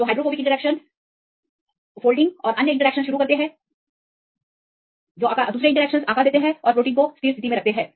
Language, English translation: Hindi, So, hydrophobic interactions initiate folding and other interactions they give shape and keep the protein in a stable state